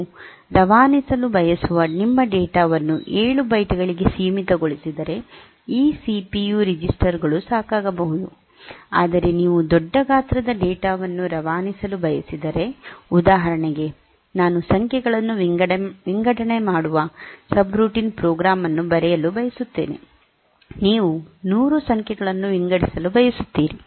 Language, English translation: Kannada, So, this CPU registers may be sufficient, but if you are we asking for larger size data to be passed for example, I want to write a program a subroutine that sorts numbers and you want to sort to say 100 numbers